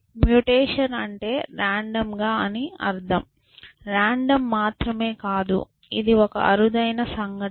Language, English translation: Telugu, And by mutation we mean random and not only random it is a rare event